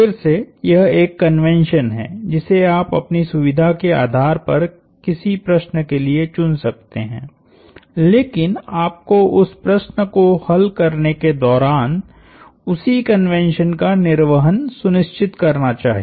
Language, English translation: Hindi, Again, this is a convention that you can choose for a given problem depending on your convenience, but you should be sure to stick to that same convention for the duration of solving that problem